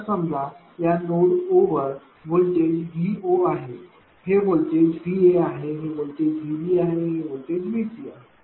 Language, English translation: Marathi, Then when you calculate the your this this voltage is say V O, this voltage say V A, this voltage say V B, this voltage is V C right